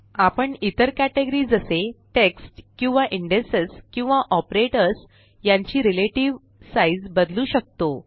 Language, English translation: Marathi, We can change the relative sizes of other categories such as the text or indexes or operators